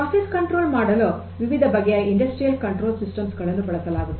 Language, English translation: Kannada, So, there are different industrial control systems that are used for process control